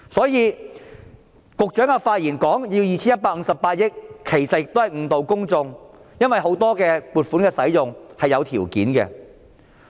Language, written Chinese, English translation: Cantonese, 因此，局長發言說要 2,158 億元，其實是誤導公眾，因為很多撥款的使用是有條件的。, For this reason it is actually misleading for the Secretary to claim that 215.8 billion is required as the use of funding allocated under many items are conditional